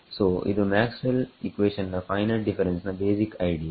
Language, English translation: Kannada, So this is the basic idea Maxwell’s equations finite differences